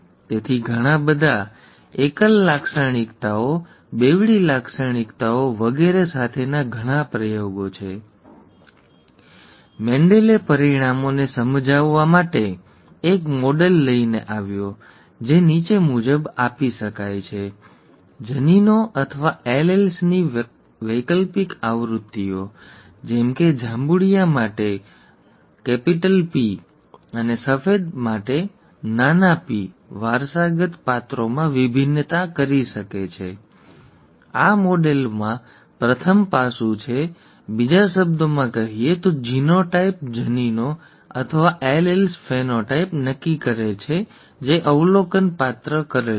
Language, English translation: Gujarati, So after a lot of experiments with a lot of single characteristics, dual characteristics and so on so forth, Mendel came up with a model to explain the results which can be given as follows: alternative versions of genes or alleles, say capital P for purple and small p for white determine the variations in inherited characters, this is the first aspect of the model; in other words the genotype, genes or alleles determine the phenotype which is the observed character